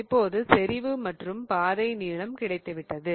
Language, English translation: Tamil, So, now we have our concentration we have have our path length